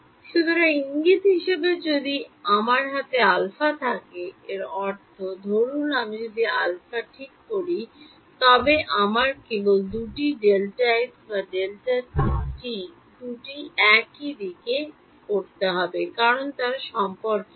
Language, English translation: Bengali, So, as a as a hint if I have alpha in my hand; that means, if supposing I fix alpha then I only need to fix one of the two either delta t or delta x; because they are related